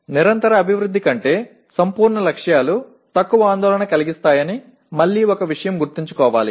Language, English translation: Telugu, And one thing again should be remembered that absolute targets are of less concern than continuous improvement